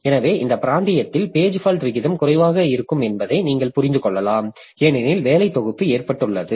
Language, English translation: Tamil, So, you can understand that in this region the page fault rate will be low because the working set has been loaded